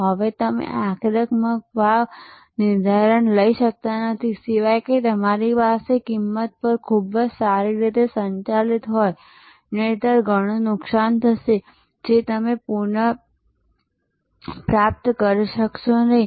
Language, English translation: Gujarati, Now, you cannot taken aggressive pricing stands, unless you have a very good handle on your cost; otherwise, will land up into lot of loss which you may not be able to recover later